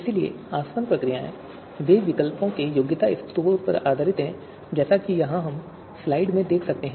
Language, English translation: Hindi, So distillation procedures, they are based on qualification scores of alternatives as we can see here in slide